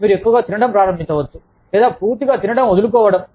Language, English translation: Telugu, You may start eating, too much, or, completely giving up, eating